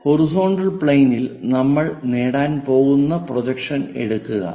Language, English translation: Malayalam, Let us consider this is the horizontal plane